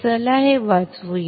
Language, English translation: Marathi, Let us save this